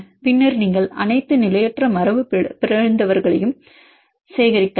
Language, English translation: Tamil, Then you can collect all the destabilizing mutants